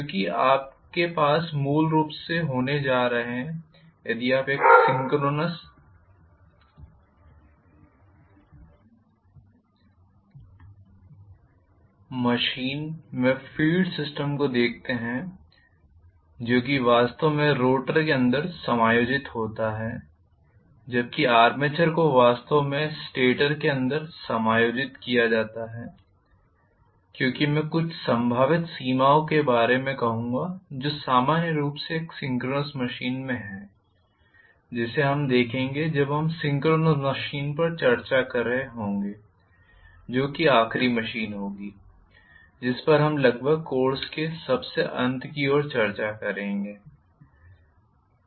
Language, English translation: Hindi, Because you are going to have basically if you look at the field system in a synchronous machine that is actually accommodated inside the rotor whereas the armature actually is accommodated inside the stator because of some various, I would say a potential constraints that are their normally in a synchronous machine which we will see when we are discussing synchronous machine that will be the last machine that we will be discussing at the end of almost towards the fag end of the course